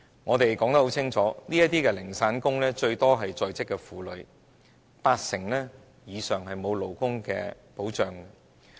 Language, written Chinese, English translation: Cantonese, 我們已清楚指出，這些零散工以在職婦女佔多，八成以上沒有勞工保障。, We have pointed out clearly that these odd - job workers are mostly working women and over 80 % of them lack employment protection